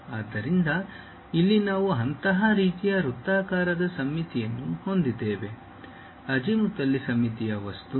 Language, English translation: Kannada, So, here we have such kind of circular symmetry, azimuthally symmetric object